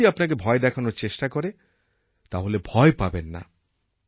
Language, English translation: Bengali, Do not be scared even if someone tries to scare you